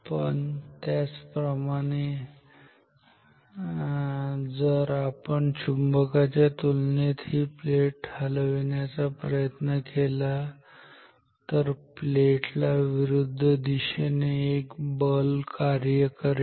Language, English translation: Marathi, But similarly if we are moving the plate with respect to the magnet the plate will experience a opposing force ok